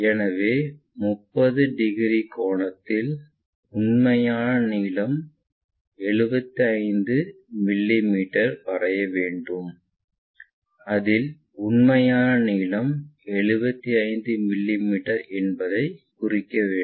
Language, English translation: Tamil, So, 30 degree angle a line we have to draw, in such a way that we will be in a position to mark true length 75 mm